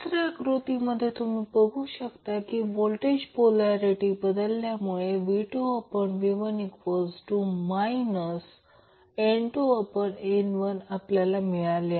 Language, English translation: Marathi, In the third figure here you see the polarity of voltages change that is why V2 by V1 will become minus N1 by N2